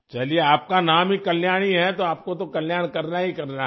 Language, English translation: Hindi, Well, your name is Kalyani, so you have to look after welfare